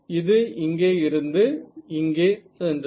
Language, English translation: Tamil, So, it came from here and went here ok